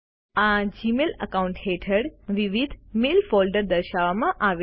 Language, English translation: Gujarati, Under this Gmail account, various mail folders are displayed